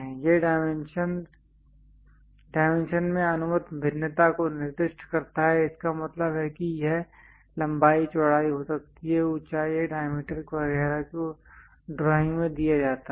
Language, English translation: Hindi, It limits specifying the allowed variation in dimension; that means, it can be length width, height or diameter etcetera are given the drawing